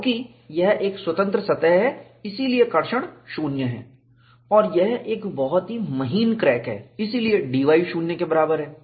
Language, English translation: Hindi, Because it is a free surface, the traction is 0; and it is a very fine crack, so, dy equal to 0